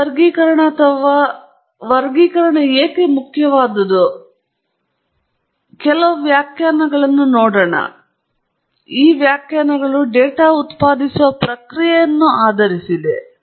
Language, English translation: Kannada, Before we ask why this classification or distinction is important, let’s look at the definitions and the definitions are based on the data generating process